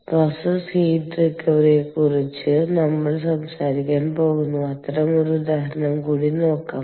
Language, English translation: Malayalam, let us look at one more such example where we are going to talk about process heat recovery